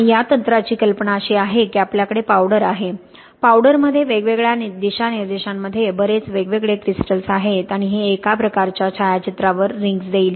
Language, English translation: Marathi, And the idea of this technique is that we have a powder, a powder has lots of different crystals in different orientations and this would give, on a sort of photograph, this would give rings